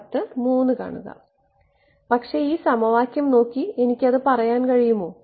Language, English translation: Malayalam, But, can I say that while looking at this equation